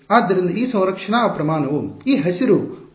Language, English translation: Kannada, So, that conserve quantity is this green arrow over here